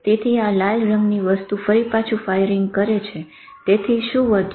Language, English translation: Gujarati, So this red thing again keep firing in the, so what is left